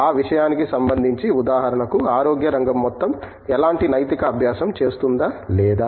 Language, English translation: Telugu, For that matter what, how does, for example, how does the entire sector of health does any kind of ethical practice or not